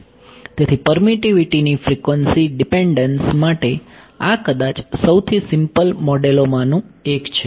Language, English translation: Gujarati, So, this is perhaps one of the simplest models for frequency dependence of permittivity right